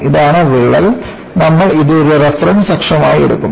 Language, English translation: Malayalam, This is the crack and we will take this as a reference axis